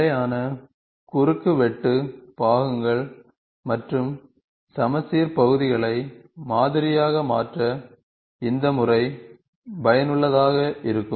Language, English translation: Tamil, The method is useful to model constant cross section parts and symmetrical paths